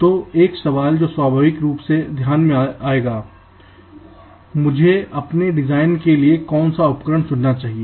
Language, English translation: Hindi, so one question that naturally would come into mind: which tool should i choose for my design